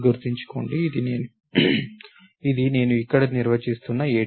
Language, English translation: Telugu, Remember, this is an ADT that I am defining over here